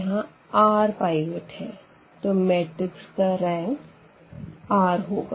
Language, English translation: Hindi, There are r pivots; so, the rank of a will be r